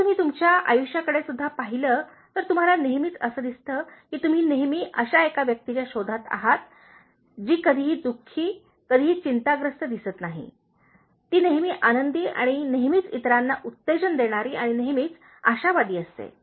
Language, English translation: Marathi, If you look at in your life also you will always find that you always look for that one person who never seems to be unhappy, never seems to be worried, always cheerful and always encouraging and supporting others and always optimistic